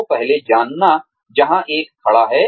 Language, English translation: Hindi, So, first knowing, where one stands